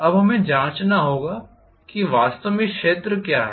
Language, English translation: Hindi, Now we will have to check what is really this area